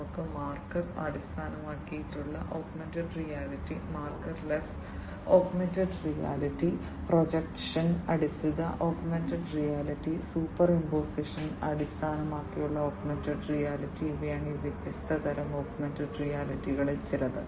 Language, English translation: Malayalam, We have marker based augmented reality, marker less augmented reality, projection based augmented reality, superimposition based augmented reality these are some of these different types of augmented reality